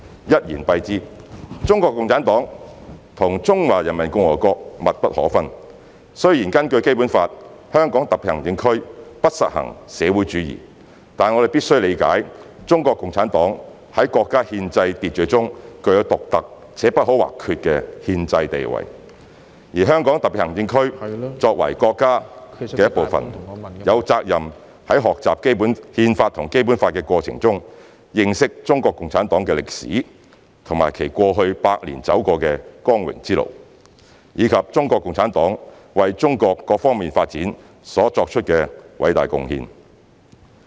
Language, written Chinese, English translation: Cantonese, 一言以蔽之，中國共產黨和中華人民共和國密不可分，雖然根據《基本法》，香港特別行政區不實行社會主義，但我們必須理解中國共產黨在國家憲制秩序中具有獨特且不可或缺的憲制地位，而香港特別行政區作為國家的一部分，有責任在學習《憲法》和《基本法》的過程中，認識中國共產黨的歷史和其過去百年走過的光榮之路，以及中國共產黨為中國各方面發展所作的偉大貢獻。, In a nutshell CPC and PRC are intertwined . Although the Basic Law provides that the socialist system shall not be practised in HKSAR we must recognize the unique and indispensable constitutional role of CPC in the countrys constitutional order . As HKSAR is a part of China we have the responsibility to learn about the history of CPC its glorious development in the past century and the contribution it made towards Chinas progress on all fronts when we are studying the Constitution and the Basic Law